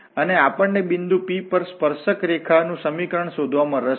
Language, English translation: Gujarati, And then we are interested here to find the equation of this tangent line at this point P